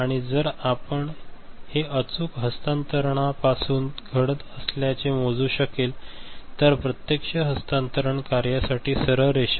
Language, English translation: Marathi, And if you can measure that is happening from the actual transfer the straight line that is happening for the actual transfer function